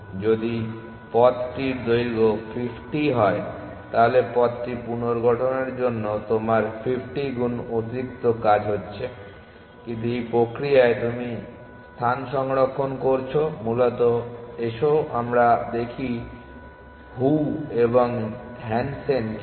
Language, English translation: Bengali, So, if the path is of length 50, then you are having 50 times extra work to reconstruct the path, but in the process you are saving on space essentially let us see what Zhou and Hansen do